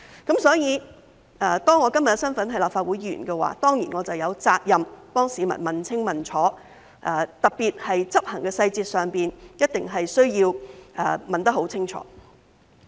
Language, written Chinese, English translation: Cantonese, 因此，當我今天的身份是立法會議員，我當然有責任替市民問清問楚，特別是在執行細節上，一定需要問得很清楚。, Therefore in my current capacity as a Member of the Legislative Council I am definitely obliged to seek clear explanation on behalf of the public particularly on the implementation details for it is necessary to seek thorough answers